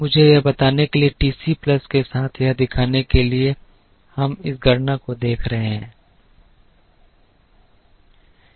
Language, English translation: Hindi, Let me illustrate this with TC+ just to show that we are looking at this computation